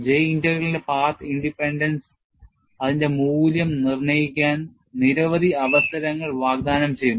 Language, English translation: Malayalam, Path independence of the J Integral offers a variety of opportunities for determining its value